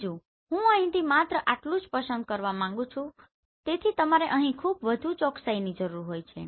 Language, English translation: Gujarati, Second I want to acquire this only right not like from here so you require very high precision here